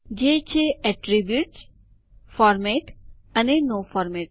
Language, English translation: Gujarati, They are Attributes, Format and No Format